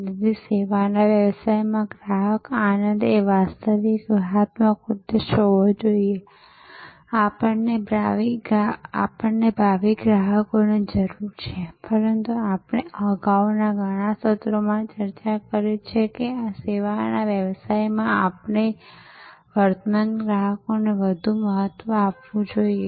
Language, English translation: Gujarati, So, customer delight should be the real strategic objective in a services business of course, we need future customers, but as we have discussed in many earlier sessions that in services business more important should be given to our current customers